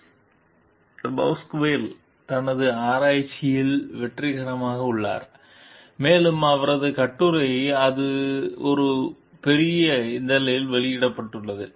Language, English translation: Tamil, Depasquale is successful in her research, and her article is published in a major journal